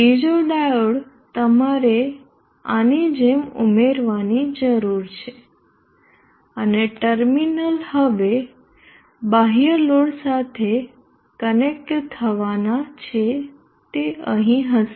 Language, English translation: Gujarati, Another diode you need to add like this and the terminal now supposed to get connected to the external load will be here